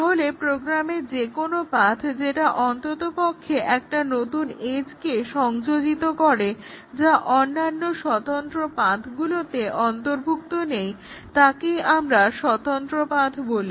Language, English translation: Bengali, So, any path through the program that introduces at least one new edge not included in the other independent paths we will call it as an independent path